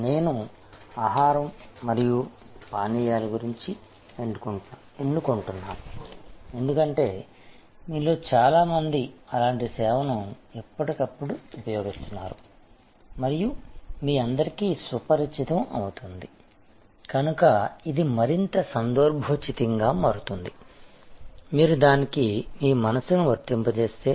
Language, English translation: Telugu, I am choosing food and beverage, because most of you will be using such service time to time and so you will all be familiar, so it will become more relevant; if you apply your mind to it